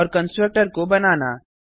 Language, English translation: Hindi, And to create a constructor